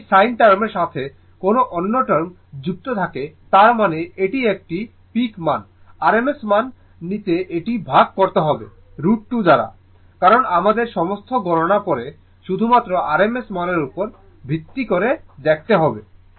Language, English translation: Bengali, If anything term attached with this sin term; that means, this is a peak value, you have to divided it by root 2 to take the rms value, because on all our calculations will be based on later we will see only on rms value, right